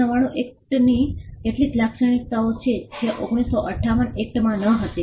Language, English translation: Gujarati, The 1999 act has certain features which were not there in the 1958 act